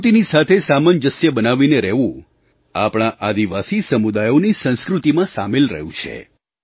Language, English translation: Gujarati, To live in consonance and closed coordination with the nature has been an integral part of our tribal communities